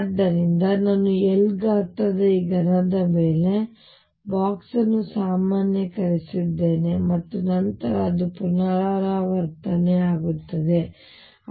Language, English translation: Kannada, So, I have box normalized over this cube of size L and then it keeps repeating and so on